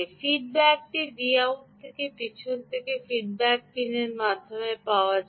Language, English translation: Bengali, the feedback is available through from the v out, from the back into the feedback pin